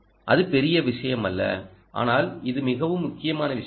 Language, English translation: Tamil, right, it's not a big deal, but this is a very important point